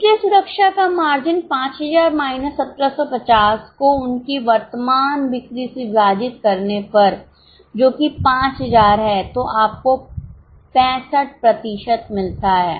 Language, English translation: Hindi, So, margin of safety 5,000 minus 1,750 divided by their current sales of which is 5,000